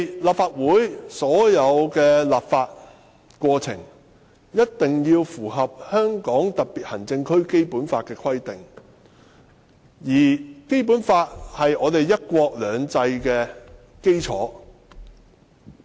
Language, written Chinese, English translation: Cantonese, 立法會的所有立法過程必須符合《基本法》的規定，而《基本法》是"一國兩制"的基礎。, All legislative processes of the Legislative Council must comply with the provisions of the Basic Law which is the basis of one country two systems